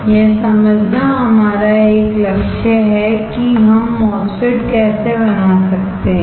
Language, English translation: Hindi, That is our one line goal to understand how we can fabricate a MOSFET